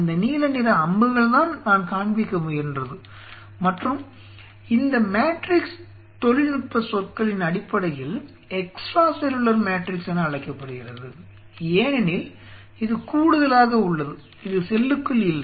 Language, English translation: Tamil, Those blue color arrows what I am trying to show and this matrix is called in technical terms it is called extra cellular, because it is extra it is not inside the cell right it is an extra outside the cell extra this is not part of the cell extra cellular matrix it forms a matrix like this there is a matrix